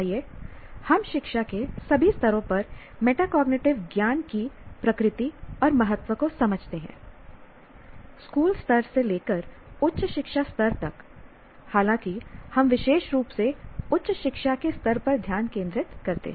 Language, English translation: Hindi, Let us understand the nature and importance of metacognitive knowledge at all levels of education, right from school level to higher education level, though we particularly focus at the higher education level